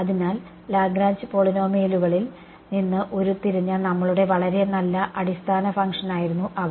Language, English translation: Malayalam, So, those were our very nice basis function which was derived from the Lagrange polynomials ok